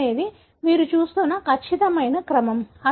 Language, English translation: Telugu, The probe is exact sequence that you are looking at